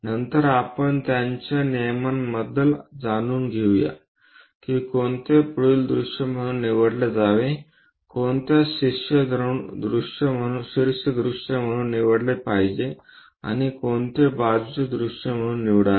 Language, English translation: Marathi, Later we will learn about their rules which one to be picked as front view, which one to be picked as top view and which one to be picked as side view